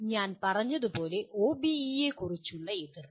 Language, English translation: Malayalam, As I said reservations about OBE